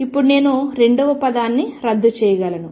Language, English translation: Telugu, Now, I can cancel the second term